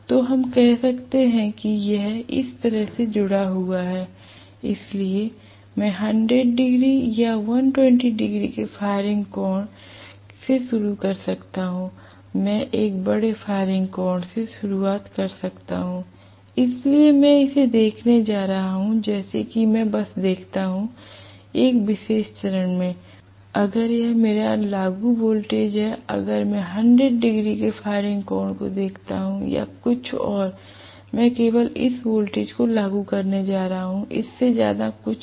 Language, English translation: Hindi, So, let us say this is connected like this, so I can start with the firing angle of 100 degrees or you know, 120 degrees, I can start off with a large firing angle, so I am going to look at it as though if I just look at one particular phase, if this is my applied voltage, if I look at the firing angle of 100 degrees or something I am going to apply only this much of voltage and this much of voltage, nothing more than that right